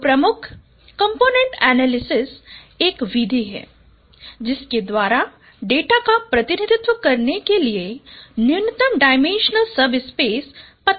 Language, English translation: Hindi, So the principal component analysis is a method by which it finds a minimum dimensional subspace for representing data